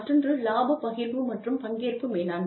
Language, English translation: Tamil, The other is, profit sharing and participative management